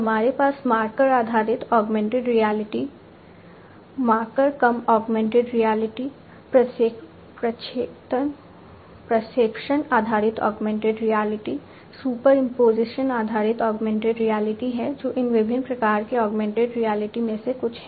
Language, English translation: Hindi, We have marker based augmented reality, marker less augmented reality, projection based augmented reality, superimposition based augmented reality these are some of these different types of augmented reality